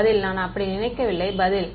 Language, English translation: Tamil, Answer is I do not think so, the answer is